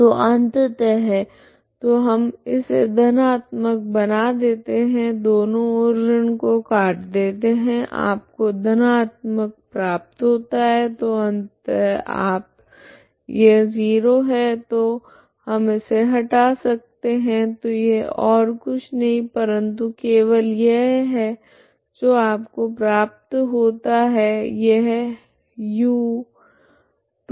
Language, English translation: Hindi, So finally so we make it plus both sides cancel minus you get plus plus so finally you end you so this is 0 so we can remove this so this is nothing but simply this is what you get this is the u2 ( ξ0,η0)okay